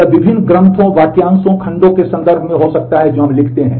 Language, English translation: Hindi, These are this happen in terms of various texts, phrases, clauses that we write